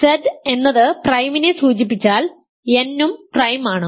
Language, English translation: Malayalam, So, if n is a prime number n is an integer